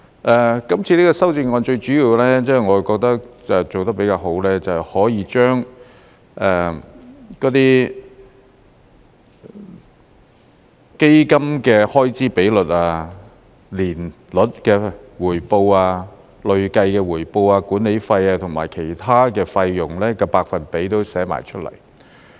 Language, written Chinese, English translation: Cantonese, 我覺得這項修正案做得比較好的是，可以將那些基金的開支比率、年率的回報、累計的回報、管理費和其他費用的百分比都列出來。, I reckon this amendment has done a relatively good job in setting out the fund expense ratio the percentage of annualized return cumulative return management fee and other fees